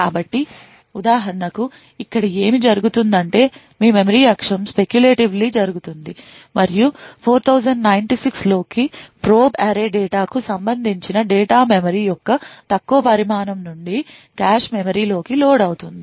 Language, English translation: Telugu, So, for example what would happen here is that there would be your memory axis which is done speculatively and data corresponding to probe array data into 4096 would be loaded into the cache memory from the lower size of the memory